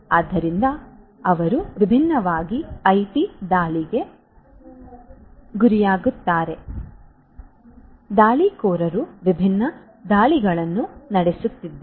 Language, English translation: Kannada, So, they are prone to IT attacks by different so there are different attackers who could be performing different attacks